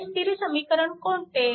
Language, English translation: Marathi, This is equation 2